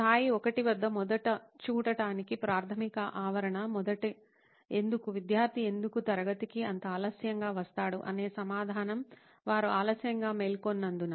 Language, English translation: Telugu, To look at it first at level 1, the basic premise, the first Why, the answer of why does the student come so late to class so regularly is because they woke up late